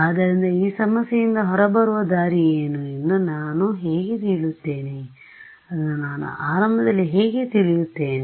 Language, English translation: Kannada, So, how will I what is the way out of this problem, how will I know it in the beginning